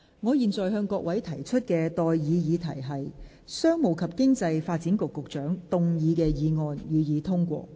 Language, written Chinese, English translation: Cantonese, 我現在向各位提出的待議議題是：商務及經濟發展局局長動議的議案，予以通過。, I now propose the question to you and that is That the motion moved by the Secretary for Commerce and Economic Development be passed